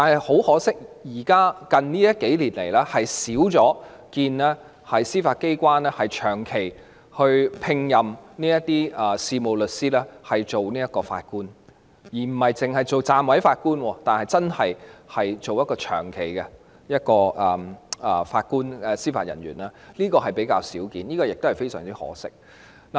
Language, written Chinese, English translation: Cantonese, 很可惜，近年較少看到司法機關長期聘任事務律師擔任法官，不只是暫委法官，而是長期擔任法官或司法人員，這個情況比較少見，實在非常可惜。, It is a pity that in recent years we seldom see the Judiciary appoint solicitors as Judges on a long - term basis . I am not talking about deputy judges but appointment as Judges or Judicial Officers long term . It is such a pity that we rarely see this happen